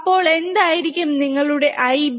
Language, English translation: Malayalam, So, what will be your I B